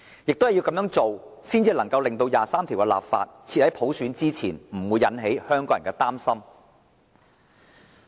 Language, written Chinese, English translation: Cantonese, 只有這樣做，才能令第二十三條的立法先於實現普選之前，而不會引起香港人的擔心。, Only under such circumstances would the legislating for Article 23 ahead of the realization of universal suffrage cause no worries to Hong Kong people